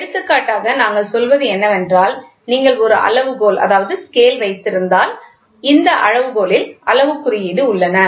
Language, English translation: Tamil, For example, what we say is you try to have a measuring scale so, this scale has graduations